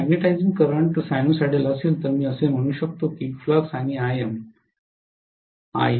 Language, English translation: Marathi, If magnetizing current is sinusoidal, I can say flux and im are not linearly related